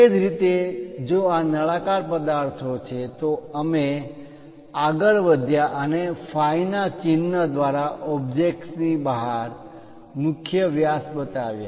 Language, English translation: Gujarati, Similarly, if these are cylindrical objects, we went ahead and showed the major diameters outside of the object through the symbol phi